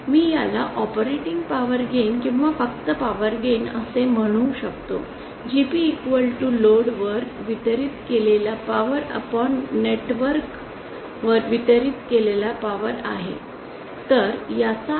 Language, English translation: Marathi, I can call this as operating power gain or simply power gain GP is equal to power delivered to the load upon power delivered to the network